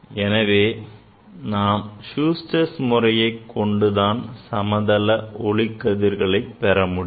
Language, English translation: Tamil, I will demonstrate the Schuster s method for focusing a spectrometer for parallel rays